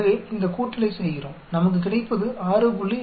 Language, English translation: Tamil, So, we do these addition we end up with 6